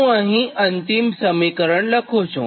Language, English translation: Gujarati, this is the third equation